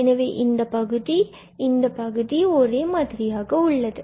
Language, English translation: Tamil, So, this term and this term they are the same